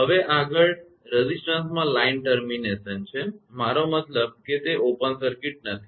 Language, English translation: Gujarati, Now, next is line termination in resistance, I mean it is not open circuited